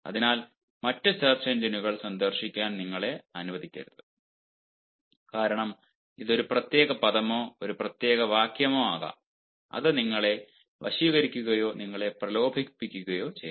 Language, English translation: Malayalam, dont allow yourself to visit other search engines because a particular word or a particular phrase only entices you or tempts you